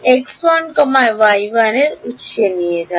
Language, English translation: Bengali, Move x 1, y 1 to the origin then